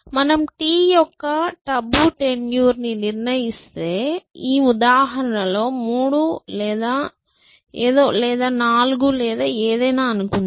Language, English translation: Telugu, So, if I am allowed to, if I decide on tabu tenure of t, let us say in this example, let say 3 or something or 4 or something